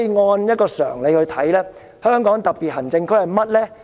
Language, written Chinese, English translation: Cantonese, 按常理來理解，香港特別行政區是甚麼？, By common sense what does the Hong Kong SAR refer to?